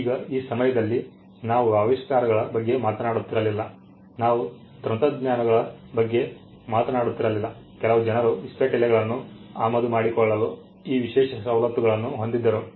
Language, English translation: Kannada, Now at that point we were not even talking about inventions we were not even talking about technologies some people have these exclusive privileges to import playing cards